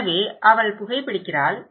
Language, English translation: Tamil, So, she is smoking